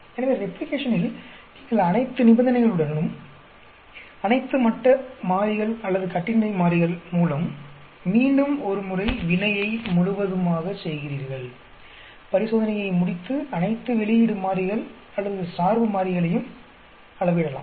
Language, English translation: Tamil, So, in Replication you completely carry out the reaction once more with all the conditions, with all state variables or independent variables, complete the experiment and measure all the output variables or dependent variables